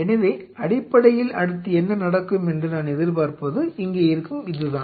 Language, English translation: Tamil, So, essentially what I will be expecting next to happen is this here